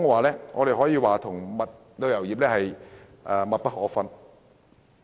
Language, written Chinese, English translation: Cantonese, 零售業與旅遊業可謂密不可分。, The retail and tourism industries are inextricably linked